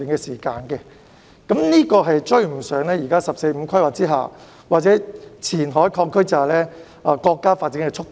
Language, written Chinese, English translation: Cantonese, 此進度將難以追上現時"十四五"規劃或前海擴區之下的國家發展速度。, Such progress suggests that we can hardly catch up with our countrys pace of development under the current 14th Five - Year Plan or the expansion of the Qianhai Cooperation Zone